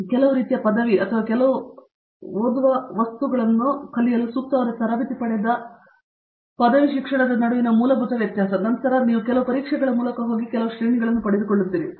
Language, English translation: Kannada, The basic difference between an under graduate education where you are kind of coached okay to study some material or certain reading material and then you go through certain exams and then gets certain grades out of it